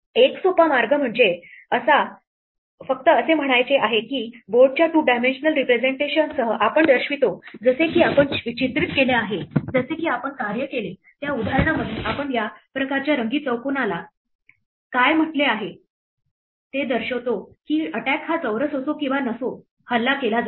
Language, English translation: Marathi, A simple way would be to just say that along with a two dimensional representation of the board we denote like we are done pictorially in the example we worked out we denote by what we have called this kind of colored square whether or not an attack a square is attacked